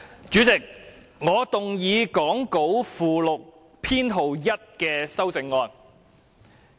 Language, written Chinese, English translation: Cantonese, 主席，我動議講稿附錄編號1的修正案。, Chairman I move Amendment No . 1 as set out in the Appendix to the Script